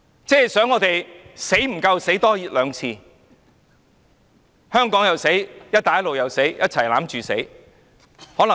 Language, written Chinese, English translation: Cantonese, 當局是要我們再死多兩次，香港又死，"一帶一路"又死，就是死在一起嗎？, Why do the authorities have to inflict the second and third deaths on us? . Why does Hong Kong have to die together with the Belt and Road Initiative?